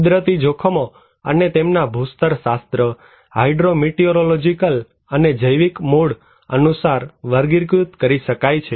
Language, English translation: Gujarati, Natural hazards can be classified according to their geological, hydro meteorological and biological origin